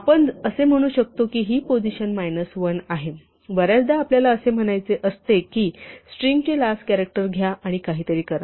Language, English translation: Marathi, We can say that this is position minus 1; very often you want to say take the last character of a string and do something